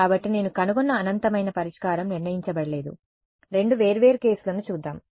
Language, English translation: Telugu, So, infinite solution that I found is undetermined, let us look at two separate cases ok